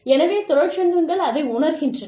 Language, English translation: Tamil, So, that is what, unions seem to feel